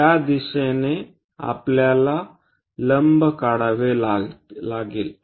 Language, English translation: Marathi, We have to draw a perpendicular in that direction